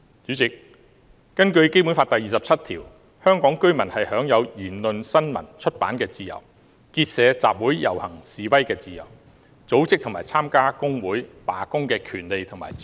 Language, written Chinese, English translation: Cantonese, 主席，根據《基本法》第二十七條，香港居民享有言論、新聞、出版的自由，結社、集會、遊行、示威的自由，組織和參加工會、罷工的權利和自由。, President according to Article 27 of the Basic Law Hong Kong residents shall have freedom of speech of the press and of publication; freedom of association of assembly of procession and of demonstration; and the right and freedom to form and join trade unions and to strike